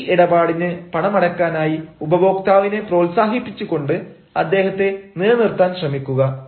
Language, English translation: Malayalam, you know, try to retain the customer by encouraging him to pay in cash for this transaction